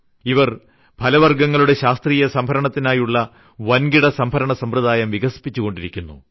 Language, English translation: Malayalam, They are developing the bulk storage system for agricultural products with scientific fruits storage system